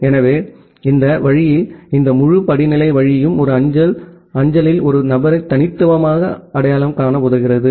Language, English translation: Tamil, So, that way this entire hierarchical way is helped to uniquely identify a person in a postal mail